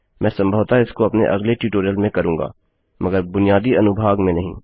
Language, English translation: Hindi, I will probably do this in one my tutorial not in the basics section though However, this is the basics structure